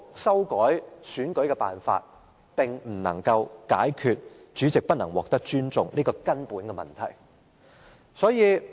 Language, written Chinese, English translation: Cantonese, 修改主席選舉辦法根本不能解決主席不獲尊重的問題。, An amendment to the election method of the President will not help solve the problem of the President losing respect